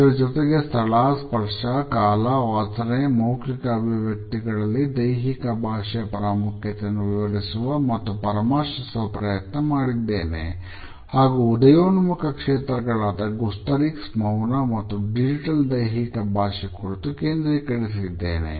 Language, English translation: Kannada, I have also try to explain and evaluate the significance of body language vis a vis our sense of space, touch, time, smell, facial expressions in appearances and also focused on the emerging areas of explorations namely gustorics, silence and digital body language